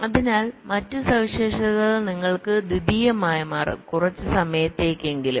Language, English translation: Malayalam, so so the other features will become secondary for you may be, for sometime at least